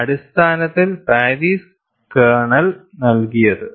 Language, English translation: Malayalam, So, the basic kernel was provided by Paris